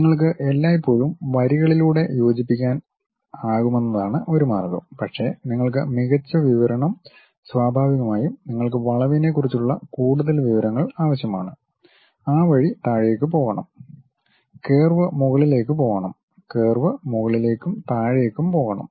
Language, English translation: Malayalam, One way is you can always connect by lines, but you want better description naturally you require additional information on the curve has to go downward direction in that way, the curve has to go upward direction, the curve has to go upward direction and downward direction